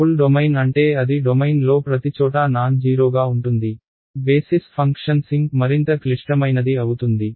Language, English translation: Telugu, Full domain means it is nonzero everywhere in the domain the basis function sink is a more complicated something simpler